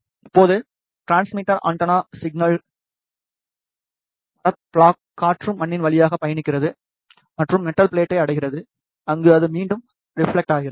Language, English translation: Tamil, Now, the transmitter antenna transmits the signal the signal travels through the wooden block air soil and reaches the metal plate where it gets reflected back